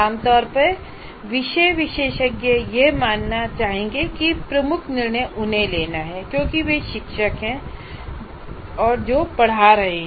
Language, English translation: Hindi, The generally subject matter experts, they would like to be considered they are the decision makers because they are the teachers who are teaching